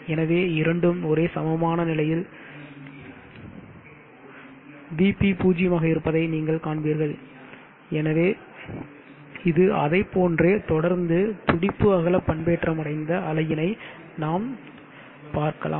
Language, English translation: Tamil, So you will see that both are at same potential VP is zero, so like that it continues and you will get a pulse width modulated waveform like this